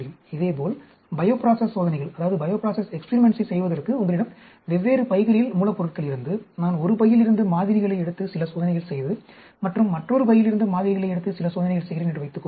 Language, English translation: Tamil, Similarly, if you have different bags of raw materials for performing bioprocess experiments, suppose I take samples from one bag and do some experiments and take samples from another bag and do experiments